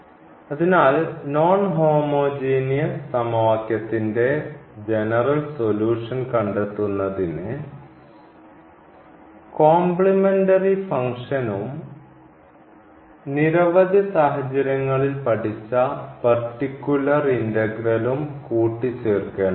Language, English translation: Malayalam, So, to find out the general solution of the non homogeneous equation we have to just add the two the complimentary function and the particular integral which we have learned in many situations